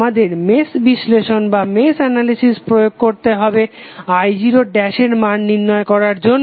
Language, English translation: Bengali, We have to apply mesh analysis to obtain the value of i0 dash